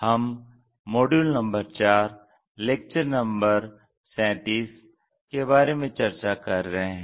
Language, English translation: Hindi, We are in Module number 4 and Lecture number 37